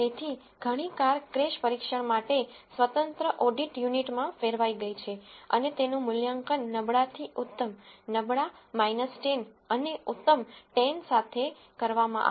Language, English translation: Gujarati, So, several cars have rolled into an independent audit unit for crash test and they have been evaluated on a defined scale from poor to excellent with poor being minus 10 and excellent being plus 10